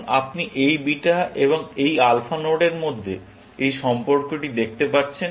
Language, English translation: Bengali, Now, you can see this relation between this beta and this alpha node